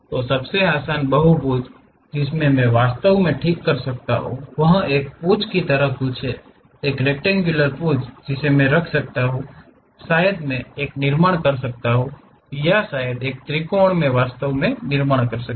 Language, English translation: Hindi, The easiest polygon what I can really fix is something like a tail, a rectangular tail I can put maybe a rhombus I can really construct or perhaps a triangle I can really construct